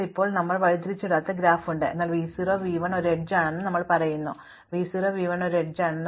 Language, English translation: Malayalam, So, now, we have an undirected graph, but we say that v 0, v 1 is an edge, means v 1, v 0 is also an edge